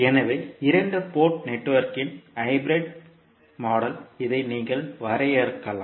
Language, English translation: Tamil, So, hybrid model of a two Port network you can define like this